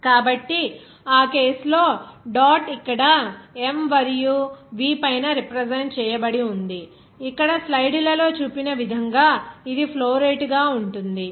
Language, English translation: Telugu, So, in that case dot will be representing here above m and V as shown here in the slides that will be as a flow rate